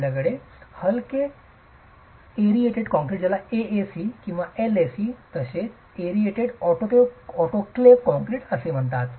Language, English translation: Marathi, You have lightweight aerated concrete, AAC or LAC as aerated autoclaced concrete as well